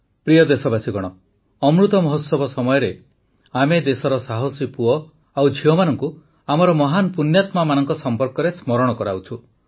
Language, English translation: Odia, during this period of Amrit Mahotsav, we are remembering the brave sons and daughters of the country, those great and virtuous souls